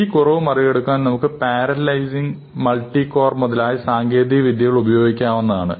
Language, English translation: Malayalam, We are using different types of technologies to get around this, parallelizing, multicore and so on